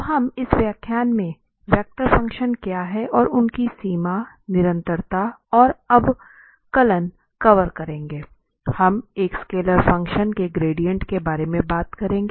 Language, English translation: Hindi, So, we will cover what are the vector functions in this lecture and their limit, continuity and differentiability, also we will be talking about the gradient of a scalar functions